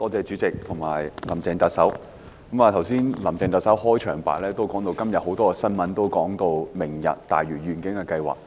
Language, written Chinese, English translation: Cantonese, 主席，特首在開場白中提到，今天很多報章報道"明日大嶼願景"計劃。, President the Chief Executive mentioned in her opening remarks that today many newspapers have reported on the Lantau Tomorrow Vision